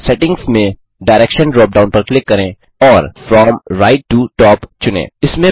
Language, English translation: Hindi, Under Settings, click the Direction drop down and select From right to top